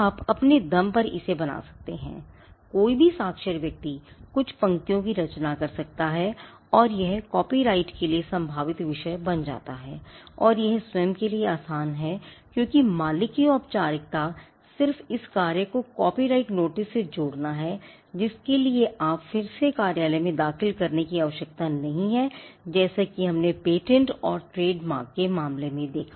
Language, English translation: Hindi, To create because you can sit and create it on your own, any literate person can compose a few lines and it becomes a potential subject matter for copyright and it is easy to own because the formality of owning is just adding this to the work adding a copyright notice to the work which again does not require filing before up a office like what we saw in the case of patterns or even in the case of trademarks